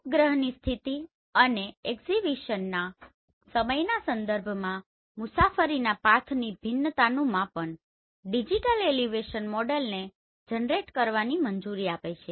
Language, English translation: Gujarati, Measurement of travel path variation with respect to satellite position and time of acquisition allow to generate digital elevation model right